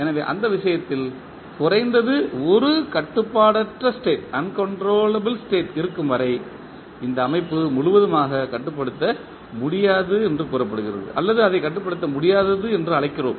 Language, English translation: Tamil, So in that case, the as long as there is at least one uncontrollable state the system is said to be not completely controllable or we just call it as uncontrollable